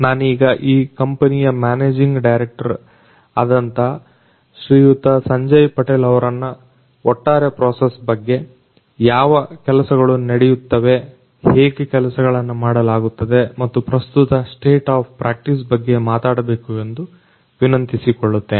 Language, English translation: Kannada, Sanjay Patel the managing director of this particular company to talk about the entire process, you know what things are done how it is done and the current state of the practice